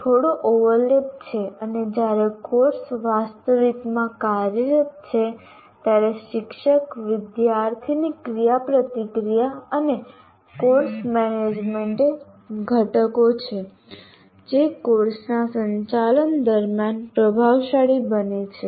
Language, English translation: Gujarati, And then once the course actually is in operation, teacher student interaction and course management are the two components which become dominant during the conduct of the course